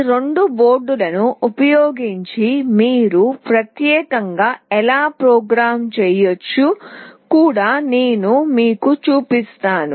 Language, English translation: Telugu, And I will also show you how you can program using these two boards specifically